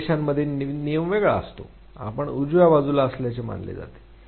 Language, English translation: Marathi, In few countries a rule is different; you are supposed to be on the right side